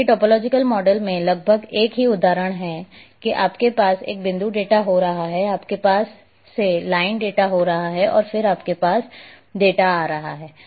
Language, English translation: Hindi, Whereas, in topological model almost the same example that you are having one point data, you are having again line data and then you are having polygon data